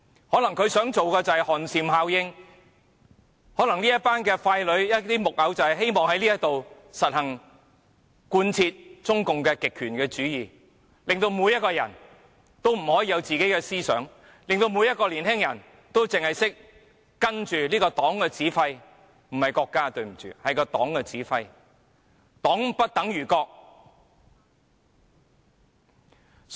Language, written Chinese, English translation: Cantonese, 可能他們想製造寒蟬效應，可能這一群傀儡、木偶希望在這裏實行及貫徹中共的極權主義，令每一個人也不可以有自己的思想，令每一個年青人只懂跟隨這個黨的指揮——對不起，不是國家，是黨的指揮——黨不等於國。, Perhaps they want to create a chilling effect and perhaps this group of puppets hope to practise and thoroughly follow the totalitarianism of communist China so that everyone is barred from having his own thinking and every youngster knows only to dance to the tune of this party―sorry not the tune of the country but that of the party―the party does not stand for the country . Benny TAI is just a scholar